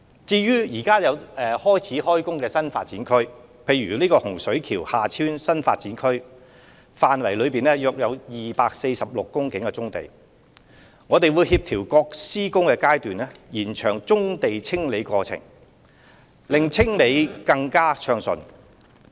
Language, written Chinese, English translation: Cantonese, 至於現已開展的新發展區工程，例如洪水橋/廈村新發展區範圍內約有246公頃棕地，我們會協調各施工階段，延長棕地清理過程，令清理工作更加暢順。, As for those NDA projects which have already commenced such as the 246 hectares or so of brownfield sites within the boundary of HSKHT NDA we will coordinate the construction phasing and smoothen the clearance process by spreading out the displacement of brownfield sites over an extended period